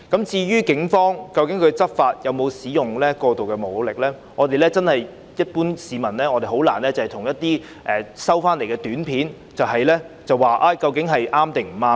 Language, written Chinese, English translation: Cantonese, 至於警方在執法時有否使用過度武力，一般市民真的難以單憑一些短片判斷對錯。, As to whether the Police had used excessive force in law enforcement it is really hard for the general public to distinguish right and wrong merely from some video footage